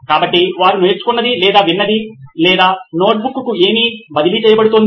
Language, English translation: Telugu, So whatever they have learnt or heard or what is being transferred to the notebook